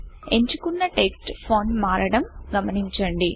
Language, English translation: Telugu, You see that the font of the selected text changes